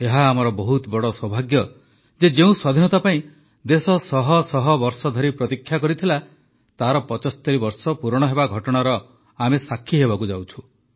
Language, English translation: Odia, We are indeed very fortunate that we are witnessing 75 years of Freedom; a freedom that the country waited for, for centuries